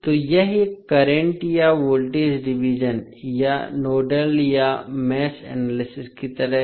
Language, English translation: Hindi, So, that is like a current or voltage division or nodal or mesh analysis